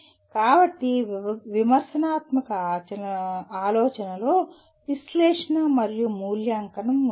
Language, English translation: Telugu, So critical thinking will involve analysis and evaluation